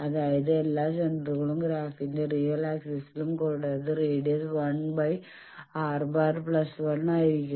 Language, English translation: Malayalam, That means, all the centers they are on this real axis of the graph and the radius is given by this